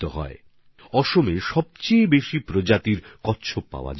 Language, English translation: Bengali, Assam is home to the highest number of species of turtles